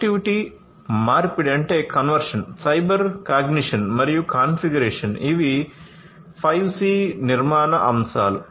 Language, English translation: Telugu, Connectivity, conversion, cyber cognition, and configuration, these are the 5C architectural aspects